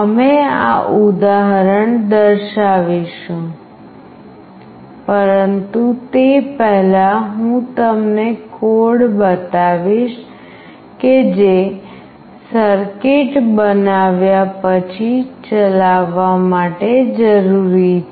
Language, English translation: Gujarati, We will be demonstrating this example, but before that I will be showing you the code that is required to be executed after making the circuit